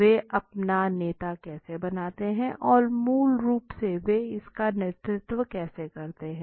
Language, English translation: Hindi, How do they create their leader and how do they lead this basically